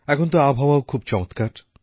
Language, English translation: Bengali, The weather too these days is pleasant